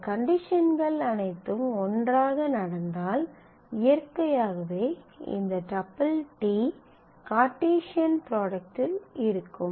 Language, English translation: Tamil, If all these conditions happen together then naturally this tuple t is a valid tuple for the Cartesian product